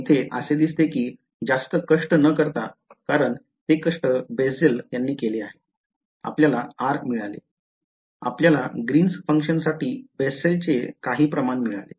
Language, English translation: Marathi, So, it seems that without too much effort because, the effort was done by Bessel, we have got r we have got some form for the Bessel’s for the Green’s function, just one small piece of information